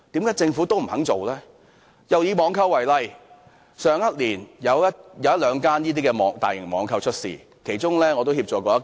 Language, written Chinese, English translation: Cantonese, 又以網購為例，去年有一兩間大型網購公司結業，我曾協助其中一間。, Next we take online shopping as an example . A few major online shopping companies went out of business last year . I provided assistance to one of them